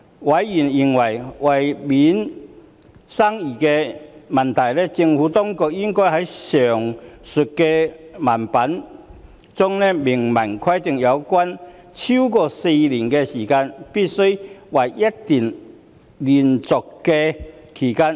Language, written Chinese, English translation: Cantonese, 委員認為，為免生疑問，政府當局應該在上述條文中明文規定有關"超過4年"的期間須為一段連續的期間。, Members are of the view that for the avoidance of doubt the Administration should expressly state in the aforesaid provision that a period of more than four years shall be a continuous period